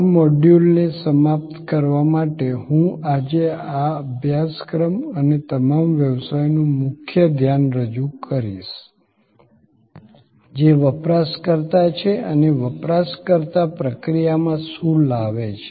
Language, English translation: Gujarati, To end this module, I will introduce the key focus of this course and of all businesses today, which is the user and what the user brings to the process